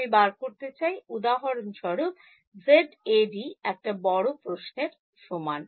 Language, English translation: Bengali, So, I want to find out for example, Z A, d equal to the grand question